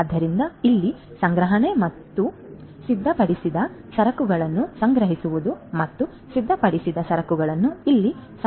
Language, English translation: Kannada, So, the stocking in and stocking out over here, stocking in of the finished goods and stocking out over here of the finished goods